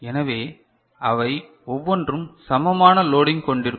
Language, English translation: Tamil, So, each one of them will be having equal loading right